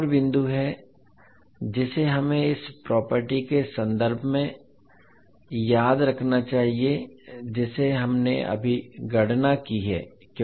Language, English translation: Hindi, Now there is another point which we have to remember with respect to this property which we have just now calculated